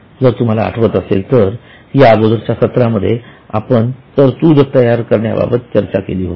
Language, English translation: Marathi, If you remember in our earlier class we had discussed that we create a provision